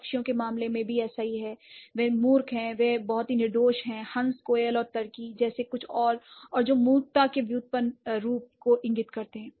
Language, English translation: Hindi, Similar is the case with bird, they are very innocent, something like goose, cuckoo and turkey, and that indicates the derived form of foolishness